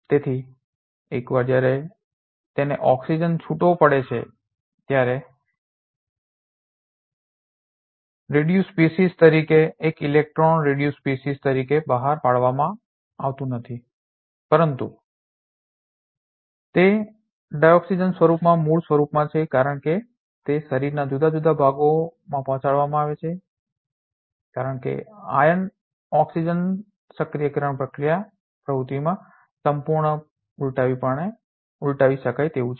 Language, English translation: Gujarati, Therefore, once it has to release oxygen is not released as a reduced species one electron reduced species, but it is in native form in the dioxygen form it is getting delivered in different parts of the body since iron oxygen activation process is completely reversible in nature